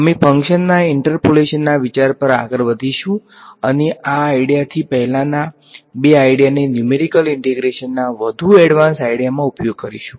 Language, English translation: Gujarati, We will proceed to the idea of interpolation of a function and use the idea combine the first two ideas into more advanced ideas for numerical integration ok